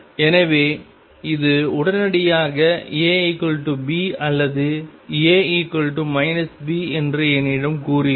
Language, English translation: Tamil, So, this immediately tells me that either A equals B or A equals minus B